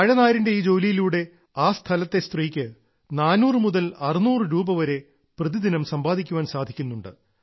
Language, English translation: Malayalam, Through this work of Banana fibre, a woman from the area earns four to six hundred rupees per day